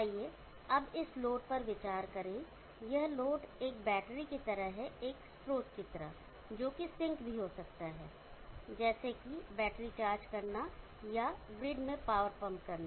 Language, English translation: Hindi, Let us now consider the load such that this load is like a battery, like a source which is capable of sinking, in the battery charging or pumping power into the grid